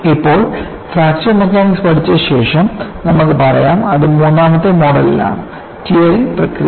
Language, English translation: Malayalam, Now, after learning fraction mechanics, you can go and say, that is in mode three; tearing action, you will see